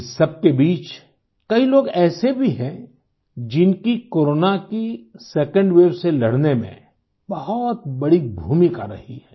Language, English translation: Hindi, Amidst all this, there indeed are people who've played a major role in the fight against the second wave of Corona